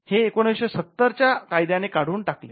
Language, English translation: Marathi, Now, this was removed by the 1970 act